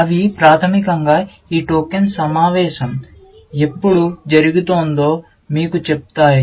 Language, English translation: Telugu, They basically, tell you when this token meet was